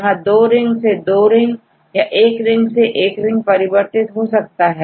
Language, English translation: Hindi, So, 1 ring with the 2 rings or 2 rings to the 1 rings